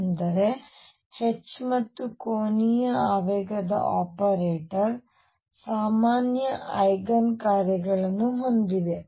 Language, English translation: Kannada, That means, that the H and angular momentum operator have common eigen functions